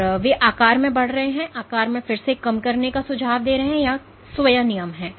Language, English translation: Hindi, So, they are growing in size and then they are again reducing in size suggesting that there are some self regulations